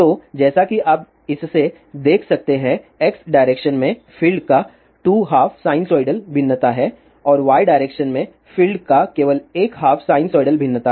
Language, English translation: Hindi, Similarly, for this in the x direction, there are 2 half sinusoidal variations of the field and in the y direction there is no variation of the field